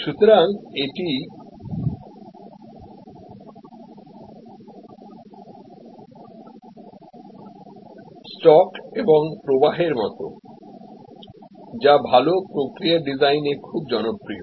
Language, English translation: Bengali, So, this is like a stock and flow, which is very popular in designing good process flows